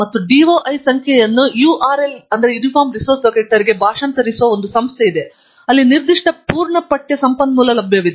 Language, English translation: Kannada, And, there is an agency which translates the DOI number into a URL, where that particular full text resource is available